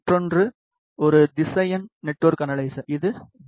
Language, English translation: Tamil, Another one is a vector network analyzer which is VNA